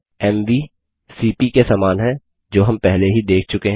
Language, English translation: Hindi, mv is very similar to cp which we have already seen